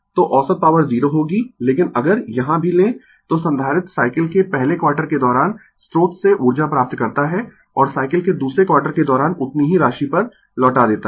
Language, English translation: Hindi, So, average power will be 0, but if you take the here also, the capacitor receives energy from the source during the first quarter of the cycle and returns to the same amount during the second quarter of cycle